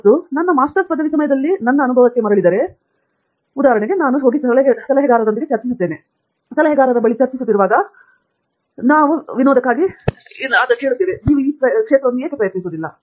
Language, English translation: Kannada, And going back to my experience during my Masters’ degree, for example, I would go and discuss with the advisor, and while we are discussing the advisor will say, why don’t we try this for fun